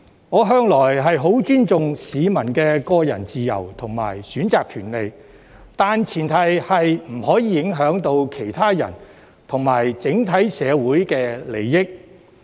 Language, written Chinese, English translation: Cantonese, 我向來十分尊重市民的個人自由和選擇權利，但前提是不可以影響到其他人和整體社會的利益。, I have always had a deep respect for peoples personal freedom and the right to choose but it is based on the premise that they must not affect the interests of other people and society as a whole